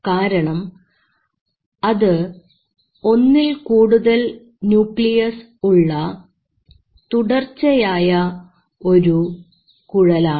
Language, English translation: Malayalam, So because it is a continuous tube with multiple nucleus